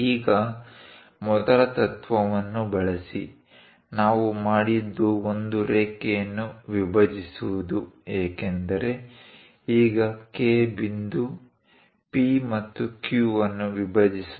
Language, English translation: Kannada, Now, use the first principle; what we have done, how to bisect a line because now K point bisects P and Q